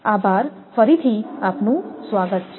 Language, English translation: Gujarati, Thank you, again welcome